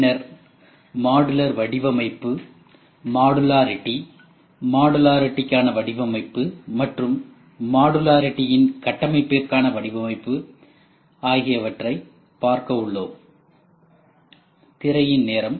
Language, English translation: Tamil, Then modular design, then modularity, design for modularity and design for modularity architecture